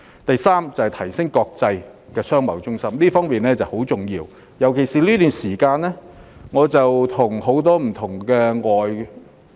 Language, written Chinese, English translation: Cantonese, 第三，提升香港國際商貿中心的地位，這方面十分重要，尤其是在最近這段時間。, Thirdly it is extremely important to enhance Hong Kongs status as an international centre for commerce and trade particularly during the recent period